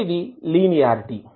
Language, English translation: Telugu, First is linearity